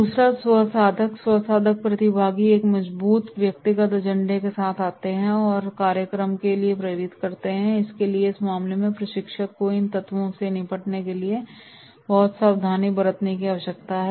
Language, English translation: Hindi, Second is self seeker, self seeker participants come with a strong personal agenda and motivates to the program, so therefore in that case the trainer need to be immense careful very much careful in dealing with these elements